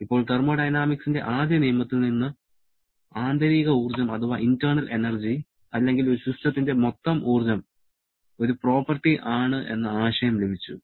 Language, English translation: Malayalam, Now, from the first law of thermodynamics, we got the concept of internal energy or I should say total energy of a system is a property